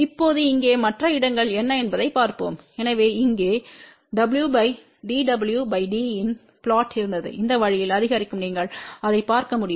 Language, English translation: Tamil, Now, let just look at what are the other plots here, so here was the plot of w by d w by d is increasing this way you can see that